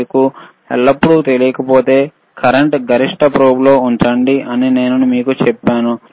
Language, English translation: Telugu, I told you that if you do not know always, keep the current on maximum probe on maximum,